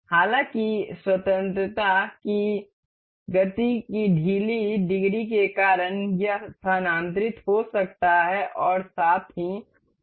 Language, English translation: Hindi, However, because of a loose degree of motion degree of freedom this can move and can rotate as well